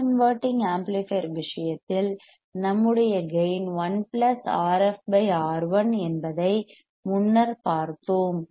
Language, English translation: Tamil, We have seen that earlier in the case of non inverting amplifier our gain is 1 plus R f by R 1